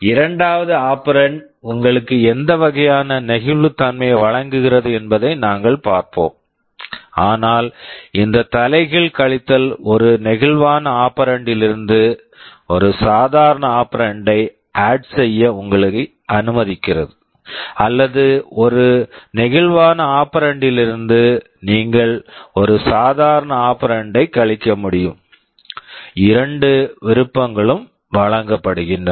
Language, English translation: Tamil, We shall be seeing what kind of flexibility the second operand provides you, but this reverse subtract allows you to add a normal operand from a flexible operand, or from a flexible operand you can subtract a normal operand, both options are provided